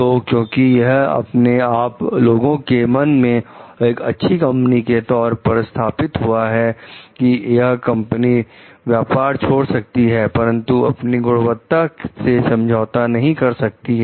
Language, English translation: Hindi, So, because it establishes itself in the mind of people as a good company who is who will rather leave the business, but not compromise with the quality